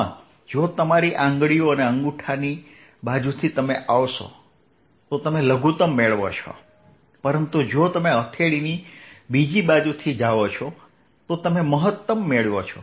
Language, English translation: Gujarati, in this, if you come from the side of your fingers and thumb, you are hitting a minimum, but if you go from the palm to the other side, you hitting a maximum